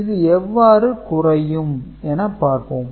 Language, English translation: Tamil, Let us see how we can do it